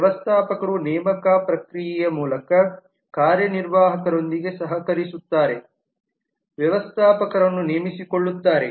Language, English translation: Kannada, managers collaborates with executive through the process of hiring, manager hire executive